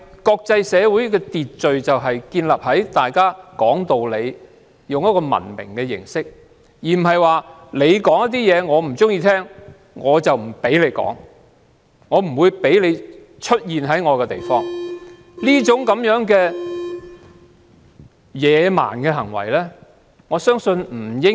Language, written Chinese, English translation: Cantonese, 國際社會的秩序就是建立在大家都說道理，用文明的形式發表意見，而不是不喜歡聽便不讓他人發表意見或在境內出現。, The order of the international community is based on the fact that people are reasonable and they express their views in a civilized way rather than prohibiting those they dislike from speaking or from staying in their countries